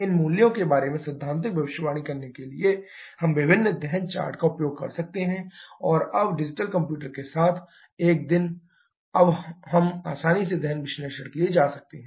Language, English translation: Hindi, To get the theoretical prediction about these values, we can use different combustion charts and now a days with digital computers, we can easily go for detail combustion analysis